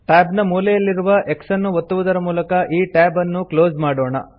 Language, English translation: Kannada, Lets close this tab by clicking on the x at the corner of the tab